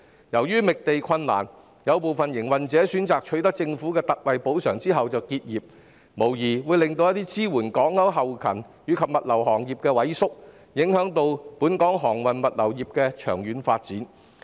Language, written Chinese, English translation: Cantonese, 由於覓地困難，有部分營運者選擇取得政府的特惠補償後就結業，無疑令支援港口運作的後勤及物流行業萎縮，影響本港航運物流業的長遠發展。, Due to difficulties in finding land some operators have chosen to close their business after obtaining ex gratia compensation from the Government . This will undoubtedly shrink back - up and logistics industries that support port operations and affect the long - term development of the shipping and logistics industry in Hong Kong